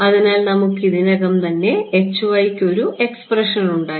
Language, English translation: Malayalam, So, let us just we already have an expression for h y